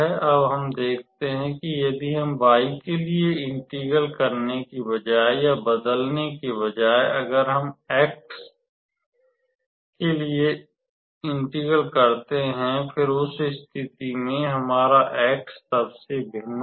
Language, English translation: Hindi, Now, we see that if we instead of changing instead of integrating with respect to y, if we integrate with respect to x first; then, in that case the same region, our x will vary from then 0